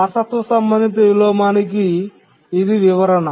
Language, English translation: Telugu, So this is the inheritance related inversion